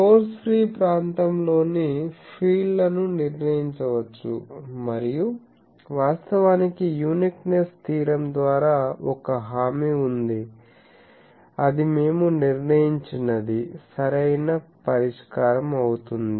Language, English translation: Telugu, The fields in the source free region can be determined and actually by uniqueness theorem there is a guarantee that, what we determined that is the correct solution